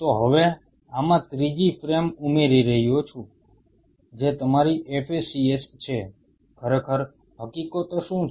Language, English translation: Gujarati, So now, I am adding a third frame to this which is your FACS, what really facts is all about